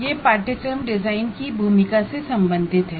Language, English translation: Hindi, And this is related to the role of course design